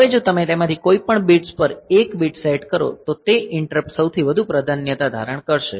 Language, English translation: Gujarati, Now, if you set 1 bit to any of those bits to, that interrupt will assume the highest priority